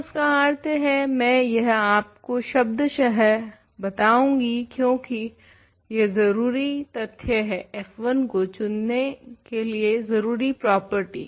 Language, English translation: Hindi, This means so, I am going to spell this out because it is an important fact, important property of how we are choosing f 1